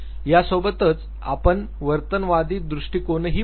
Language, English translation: Marathi, We would also look at the behaviorist framework